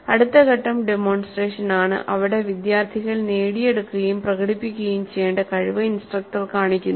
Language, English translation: Malayalam, The next phase is demonstration where the instructor demonstrates the competency that is to be acquired and demonstrated by the students